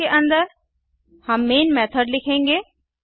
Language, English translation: Hindi, Inside the class, we write the main method